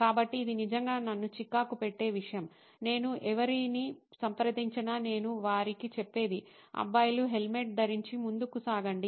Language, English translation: Telugu, So, this was something that was really irking me, whoever I could approach I could tell them you know guys wear a helmet and go on